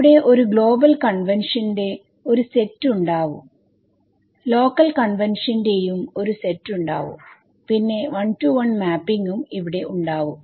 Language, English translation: Malayalam, There is a set of global convention there are set of local convention then a 1 to 1 mapping over here